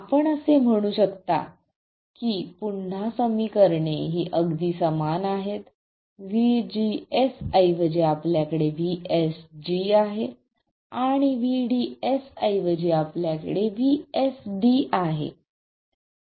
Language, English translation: Marathi, And you can see that the expression is the same as before, except instead of VGS we have VSG